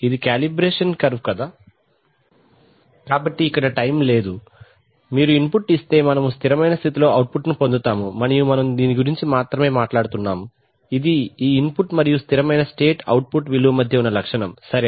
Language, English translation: Telugu, That is the calibration curve, so there is no time here, if you give an input we will get an output in the steady state, and we are only talking about this, this, the characteristic between this input and the steady state output value, right